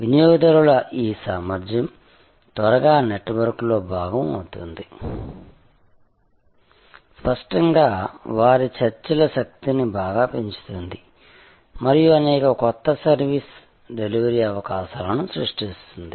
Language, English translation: Telugu, This ability of consumers to quickly become part of a network; obviously, highly enhances their negotiating power and creates many new service delivery opportunities